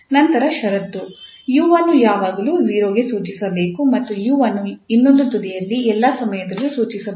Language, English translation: Kannada, Then the condition, the u must be prescribed at 0 all the time and u must be prescribed at the other end all the time